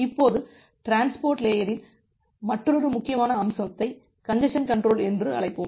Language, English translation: Tamil, Now, we will see another important aspect of the transport layer which we call as the congestion control